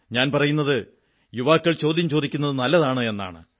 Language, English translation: Malayalam, I say it is good that the youth ask questions